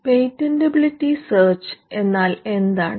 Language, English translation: Malayalam, What is a patentability search